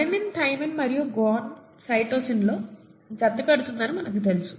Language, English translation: Telugu, We know that adenine pairs up with thymine and guanine with cytosine